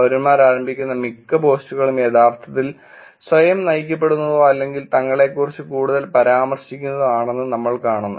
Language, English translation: Malayalam, And we see that most of the post that the citizens initiate, are actually self driven or mentions more of themselves